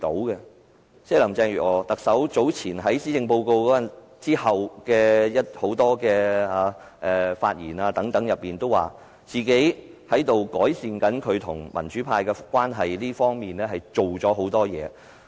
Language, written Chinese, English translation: Cantonese, 特首林鄭月娥早前在施政報告發表後的眾多發言中表示，在改善與民主派的關係方面下了很多工夫。, Earlier in her various speeches made following the delivery of her Policy Address Carrie LAM said that she has made great effort to improve her relationship with the pro - democracy camp